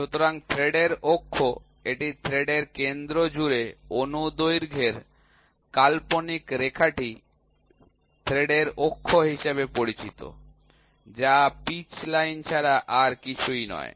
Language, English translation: Bengali, So, axis of the thread, it is the imaginary line running of longitudinal throughout the centre of the thread is called as axis of thread, which is nothing but pitch line